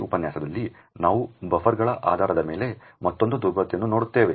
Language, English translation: Kannada, In this lecture we will look at another vulnerability based on buffers